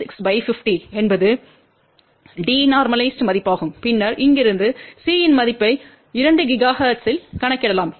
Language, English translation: Tamil, 36 divided by 50 that is the d normalized value and then from here we can calculate the value of C at 2 gigahertz